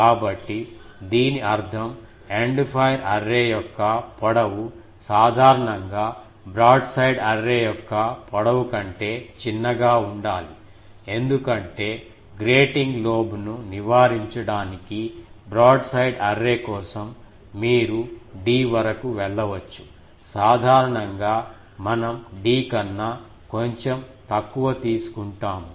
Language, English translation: Telugu, So that means, the length of the End fire array generally smaller than the length of the broadside array because for broadside array for avoiding grating lobe, you can go up to d, slightly less than d generally we take